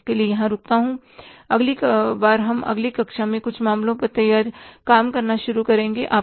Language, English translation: Hindi, I stop here for this and next time we will start doing the same some cases in the next class